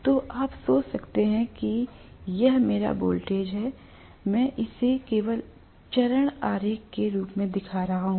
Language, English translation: Hindi, So you can imagine if this is my voltage, I am just showing this as a form of phasor diagram